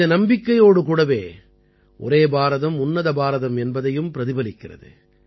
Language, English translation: Tamil, Along with inner faith, it is also a reflection of the spirit of Ek Bharat Shreshtha Bharat